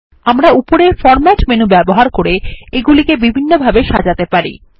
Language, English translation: Bengali, We can use the Format menu at the top for making various format changes